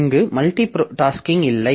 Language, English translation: Tamil, So, multitasking is not there